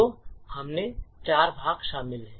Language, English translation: Hindi, So, it comprises of four parts